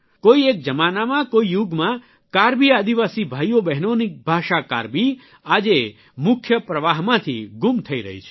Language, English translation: Gujarati, Once upon a time,in another era, 'Karbi', the language of 'Karbi tribal' brothers and sisters…is now disappearing from the mainstream